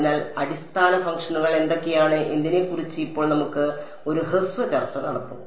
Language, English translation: Malayalam, So, now like we will have a brief discussion of what are the kinds of basis functions